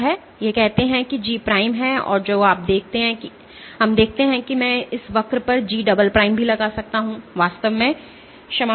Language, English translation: Hindi, So, this that says is G prime and what you see let us see I can also plot G double time on this curve, actually sorry